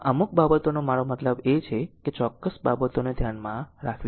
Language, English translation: Gujarati, This certain things I mean basic thing you have to keep it in mind right